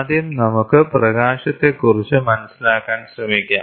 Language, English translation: Malayalam, Let us first try to understand light